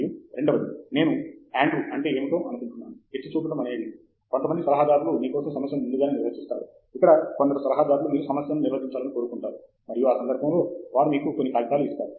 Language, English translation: Telugu, And secondly, I think what Andrew was pointing out is some advisors would define the problem for you upfront, where as some advisors would like you to define the problem, and in that context, they will give you a few papers and so on